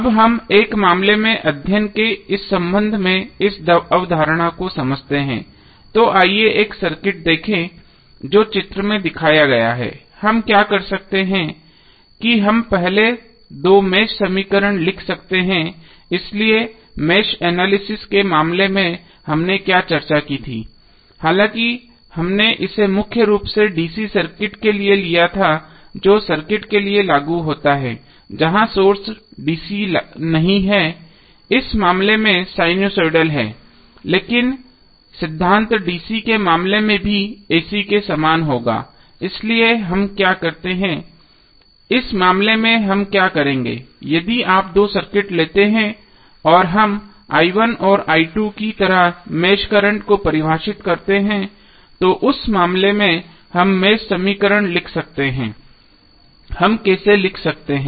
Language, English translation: Hindi, Now let us understand this concept with respect to one case study, so let us see one circuit which is shown in the figure, what we can do we can write first two mesh equations, so recollect of what we discussed in case of mesh analysis although we did it for mainly the DC circuit but same is applicable for the circuit where the source is not DC, in this case it is sinusoidal but the principle will follow the same in case of DC as well as AC, so what we will do in this case if you take two circuits and we define mesh current like i1 and i2 in his case we can write the mesh equation, how we can write